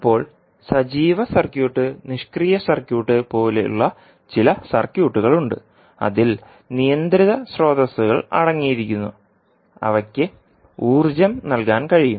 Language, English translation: Malayalam, Now there are certain circuits like active circuit and passive circuit which contains the controlled sources which can supply energy and that is why they can be unstable